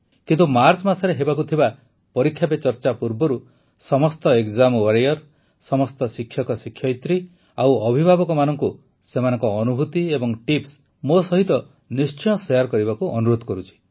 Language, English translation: Odia, But before the 'Pariksha Pe Charcha' to be held in March, I request all of you exam warriors, parents and teachers to share your experiences, your tips